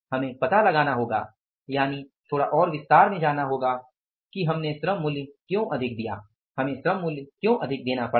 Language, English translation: Hindi, We have to find out the is go little more in detail that why the labor price we had to pay more